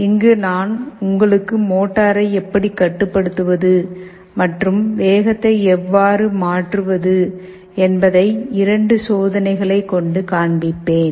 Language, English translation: Tamil, We shall be showing you a couple of experiments on the controlling of the motor and how the speed can be varied